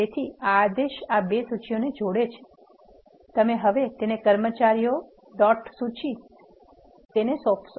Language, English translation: Gujarati, So, this command concatenates these two lists, you are now assigning it to the employee dot list